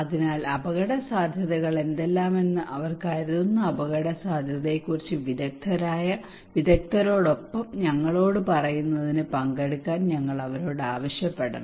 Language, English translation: Malayalam, So we should simply ask them to participate to tell us along with the expert that what are the risk they think they are vulnerable to okay